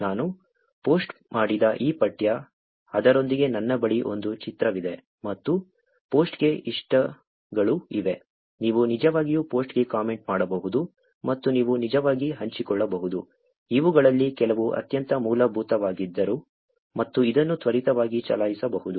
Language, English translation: Kannada, This text that I have posted, I also have an image with it and there are likes for the post, you can actually comment on the post and you can actually share, even though some of these are very basic and kind of just run this quickly, so that we will actually reuse it as we go ahead in the course